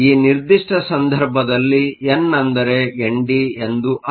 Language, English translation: Kannada, In this particular case n is nothing, but N D